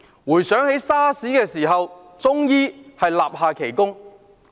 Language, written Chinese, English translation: Cantonese, 回想起 SARS 的時候，中醫立下奇功。, We recall that at the time of SARS Chinese medicine achieved an impressive accomplishment